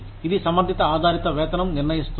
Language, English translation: Telugu, It determines the competency based pay